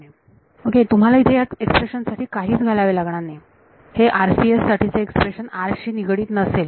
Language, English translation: Marathi, You do not have to put anything this expression the expression for RCS this expression for RCS will turn out to be independent of r